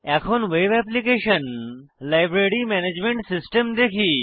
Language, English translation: Bengali, Now let us look at the web application – the Library Management System